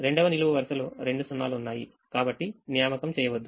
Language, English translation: Telugu, so the first row has two zeros, so we don't make an assignment